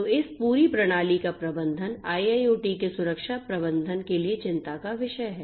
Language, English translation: Hindi, So, the management of this whole system is what concerns the security management of IIoT